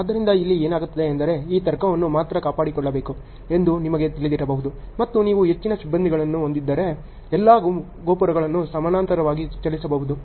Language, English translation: Kannada, So, what happens here is the logic you can actually you know this logic alone has to be maintained and you can actually move all the towers in parallel also if you have more crews